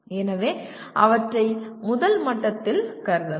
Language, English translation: Tamil, So they can be considered at first level